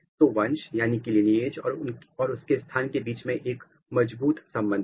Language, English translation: Hindi, So, there is a strong correlation between lineage as well as the position of it ok